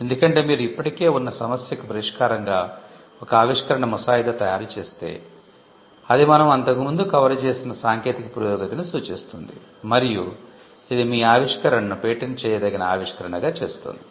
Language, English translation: Telugu, Because if you draft an invention as a solution to an existing problem, it would demonstrate technical advance what we had covered earlier, and it would also qualify your invention as a patentable invention